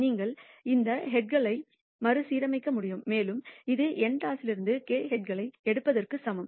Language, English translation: Tamil, You can rearrange these heads and it is equal into picking k heads out of n tosses